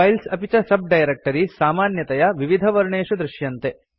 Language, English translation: Sanskrit, Files and subdirectories are generally shown with different colours